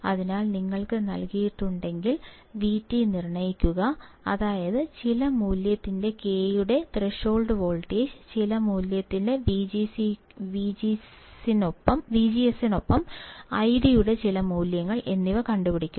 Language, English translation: Malayalam, So, if you are given, determine VT, that is threshold voltage for K of some value, I D on for some value with V G S on for some value